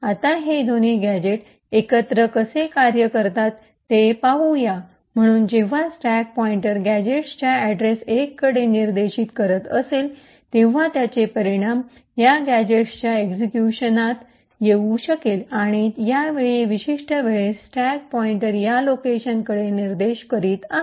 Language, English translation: Marathi, Now let us see how these two gadgets work together, so when the stack pointer is pointing to gadget address 1 it would result in this gadget getting executed and at this particular time the stack pointer is pointing to this location